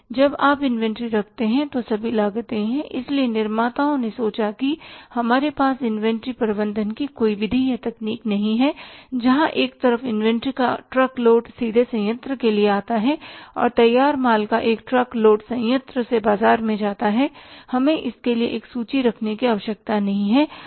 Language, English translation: Hindi, So, manufacturer is thought can't we have a method or technique of inventory management where on the one side a truck load of inventory comes state paid to the plant and a truck load of the finished goods goes from the plant to the market, we don't need to keep any inventory business